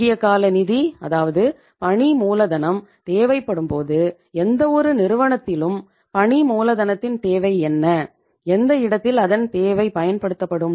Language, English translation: Tamil, When you require the short term finance now, when you require the working capital, what is the need of the working capital in any firm, where the working capital is used